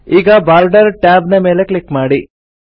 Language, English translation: Kannada, Now click on the Borders tab